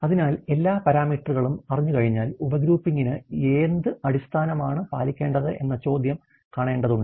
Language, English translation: Malayalam, So, once you have this, all the parameters the question of the, what basis to be followed for the sub grouping needs to be brought into picture